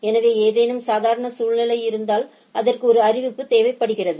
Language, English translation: Tamil, So, if there is any abnormal situation, so it requires a notification of the thing